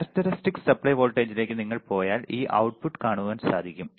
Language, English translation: Malayalam, If you go to the characteristics supply voltage we have seen this output